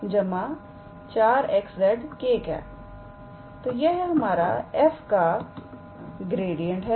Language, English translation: Hindi, So, this is our gradient of f